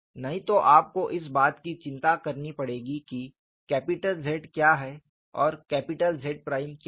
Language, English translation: Hindi, ; Ootherwise, you will have to worry about what is capital ZZ and what is capital ZZ prime